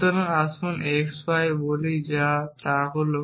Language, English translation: Bengali, So, let us say x y and what is does is it